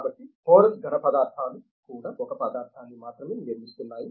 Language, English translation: Telugu, So, like that porous solids also is building a material only